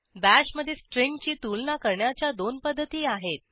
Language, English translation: Marathi, There are two ways to compare a string in Bash